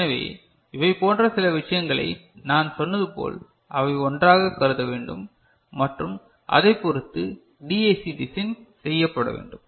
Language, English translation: Tamil, So, these are certain things and as I said they need to be considered together and accordingly the DAC design is to be done